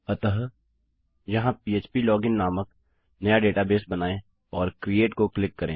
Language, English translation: Hindi, So here, create new database called php login and click create